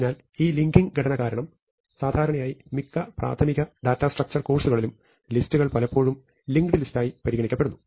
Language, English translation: Malayalam, So, because of this linking structure usually in most introductory data structures courses, lists are often referred to as linked list